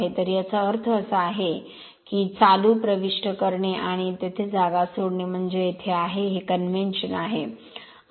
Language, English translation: Marathi, So, this means current entering into that and leaving the place there means there this is your, this is your convention right